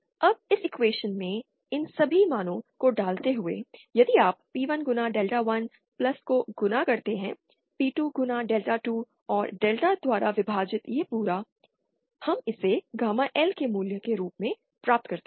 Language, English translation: Hindi, So, then now, putting all these values in this equation, if you multiply P1 Times Delta1 + P2 Times Delta 2 and this whole by delta, we get this as the value of gamma L